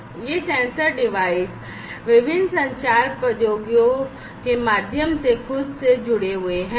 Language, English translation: Hindi, These sensor devices are connected themselves, through different communication technologies